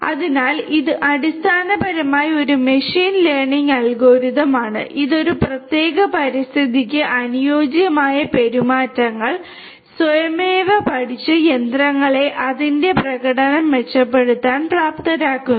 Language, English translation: Malayalam, So, it is basically a machine learning algorithm which enables machines to improve its performance by automatically learning the ideal behaviors for a specific environment